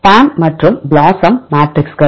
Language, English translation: Tamil, PAM and BLOSUM matrixes